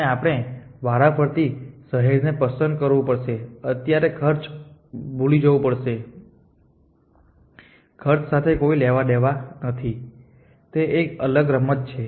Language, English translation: Gujarati, And we get to choose city by city so forget of the cost to a cost nothing to do here this is the different game